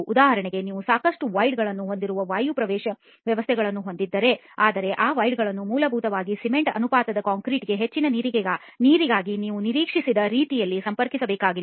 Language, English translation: Kannada, For example if you have air entrained systems which have a lot of voids but these voids need not be essentially connected in the same way as we expected for a high water to cement ratio concrete